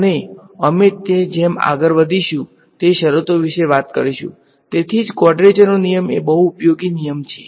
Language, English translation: Gujarati, And, we will talk about those conditions as we go along ok, that is why this quadrature rule is very important useful rather ok